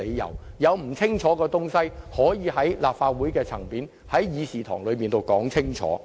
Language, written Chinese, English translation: Cantonese, 如果有不清晰的地方，也可以在立法會的議事堂解釋清楚。, If there is anything not clear Members may seek clarification in this Chamber of the Legislative Council